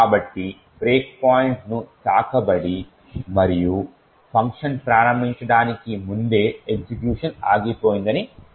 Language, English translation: Telugu, So, we see that the break point has been hit and the execution has stopped just before the function has been invoked